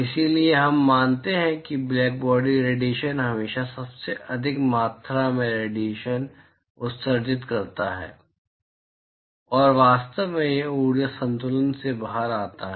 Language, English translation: Hindi, So, we assume that blackbody radiation always emits the highest amount of radiation and in fact that comes out of the energy balance